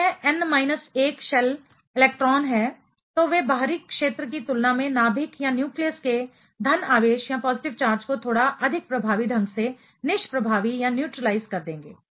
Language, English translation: Hindi, If it is n minus 1 shell electron, they will be neutralizing the positive charge of the nucleus little more effectively compared to the outer sphere